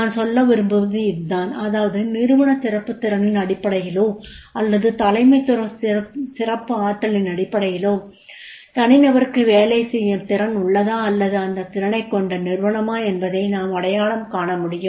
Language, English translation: Tamil, What I want to say is this, that is on the basis of this particular organizational excellence potential or on the basis of the leadership excellence potential, we can identify that is the whether the individual is having that potential to work or that is the organization which is having a potential to work